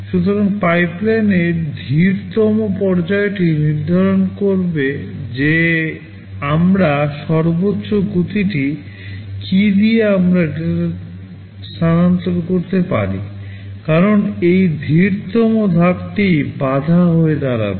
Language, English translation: Bengali, So, the slowest stage in the pipeline will determine what is the maximum speed with which we can shift the data, because this slowest stage will be become the bottleneck